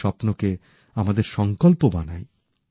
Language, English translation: Bengali, Their dreams should be our motivation